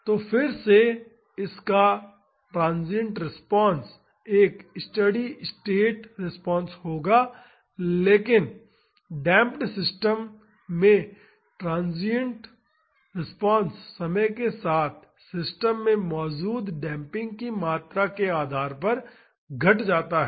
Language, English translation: Hindi, So, again this would have transient response and a steady state response, but in damped system the transient response decays with time depending upon the amount of damping present in the system